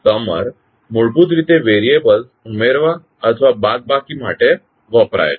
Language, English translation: Gujarati, So summer is basically used for either adding or subtracting the variables